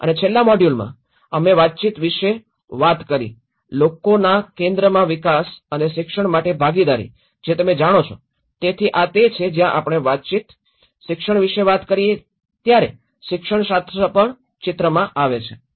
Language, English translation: Gujarati, And in the last module, we talked about the communication, participation for people centre development and education you know so this is where when we talk about communication, education, the pedagogy also comes into the picture